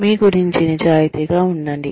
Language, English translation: Telugu, Be honest to yourself